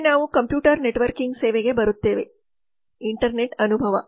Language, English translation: Kannada, next we come to the computer networking service the internet experience